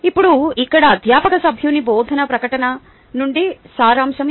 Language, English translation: Telugu, now here is a an excerpt from a teaching statement of a faculty member